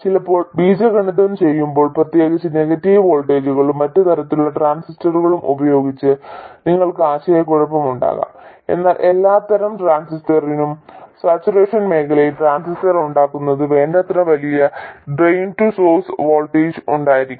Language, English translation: Malayalam, Sometimes while doing algebra especially with negative voltages and other types of transistors you could get confused but for every type of transistor there has to be a sufficiently large train to source voltage in order to have the transistor and saturation region